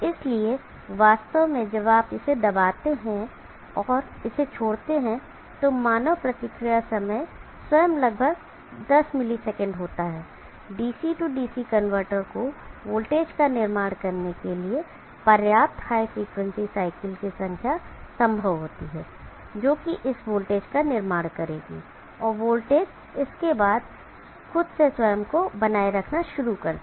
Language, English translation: Hindi, So actually when you press and leave it the human reaction time himself is around 10 milliseconds, there is more than sufficient number of high frequency cycles possible for the DC DC converter to build up the voltage which will build up this voltage and which will then start self sustaining itself